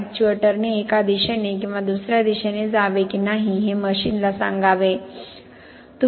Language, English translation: Marathi, That it should tell the machine whether the actuator should move in one direction or the other